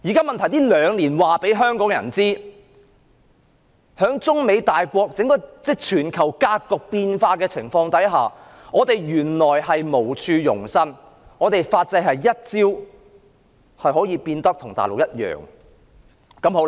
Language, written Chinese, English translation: Cantonese, 問題是這兩年讓香港人認識到，在中美大國關係以至全球格局變化的情況下，我們原來是無處容身，我們的法制可以一朝變得跟大陸一樣。, The problem is that over the past two years Hong Kong people have learnt that given the ever changing Sino - American relations and world situations we have no place to shelter ourselves and our legal system can one day become the same as that of the Mainland